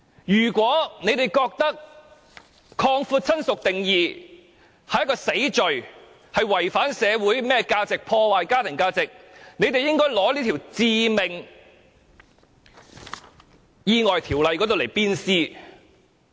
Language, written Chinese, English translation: Cantonese, 如果他們認為擴闊"親屬"的定義是一項死罪，違反社會價值，破壞家庭價值，他們應把《致命意外條例》鞭屍。, If they consider the expansion of the definition of relative warrants a death sentence violates social values and undermines family values they should condemn the Fatal Accidents Ordinance severely in the public